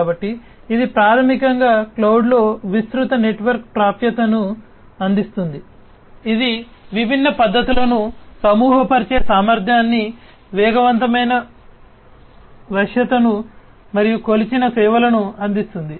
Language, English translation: Telugu, So, this is basically in a cloud offers wide network access, it offers the capability of grouping different methods, faster flexibility, and offering measured service